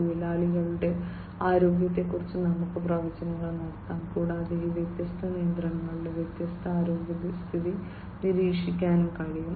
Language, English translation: Malayalam, We can have predictions about workers’ health, (workers’ health), and also we can do monitoring of the different the health condition of these different machinery